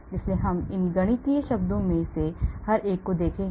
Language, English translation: Hindi, so we will look at each one of these mathematical terms